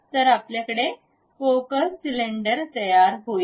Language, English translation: Marathi, So, we have that hollow cylinder